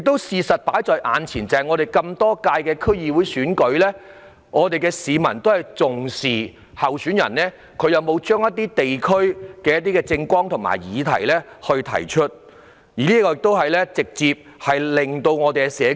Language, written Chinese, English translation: Cantonese, 事實上，在歷屆區議會選舉中，市民都很重視候選人有否把地區議題納入他們的政綱，從而直接改善社區。, As a matter of fact in the previous DC elections people attached great importance to whether the election platform of a candidate had included district issues as this would improve the community directly